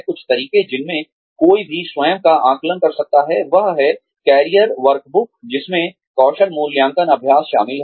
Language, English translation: Hindi, Some ways in which, one can assess, one's own self, is through career workbooks, which includes, skill assessment exercises